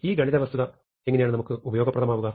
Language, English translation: Malayalam, Why is this mathematical fact useful to us